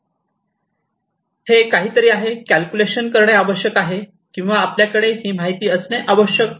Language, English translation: Marathi, This is something that is required to be calculated or to be you know you need to have this information